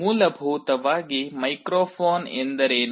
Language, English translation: Kannada, So, essentially what is a microphone